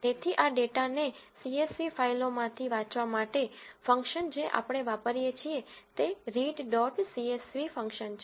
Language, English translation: Gujarati, So, in order to read this data from the csv files, function we use is read dot csv function